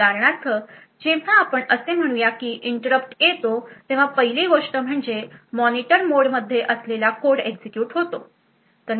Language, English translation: Marathi, So for example whenever there is let us say that an interrupt occurs the first thing that gets executed is code present in the Monitor mode